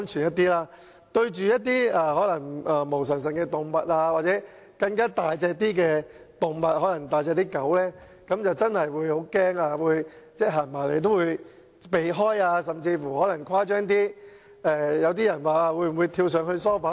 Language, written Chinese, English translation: Cantonese, 面對一些毛茸茸的動物或體型較大的動物，例如大型犬隻，我真的會很害怕，牠們走過來我便會避開，甚至曾誇張地跳上沙發。, I am really scared of hairy or larger animals such as big dogs and I will avoid them when they come over . There were times when I literally jumped onto the sofa to stay away from them